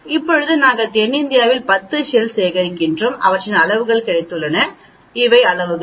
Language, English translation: Tamil, Now we have collected 10 barnacles in South India and we got their sizes, these are the sizes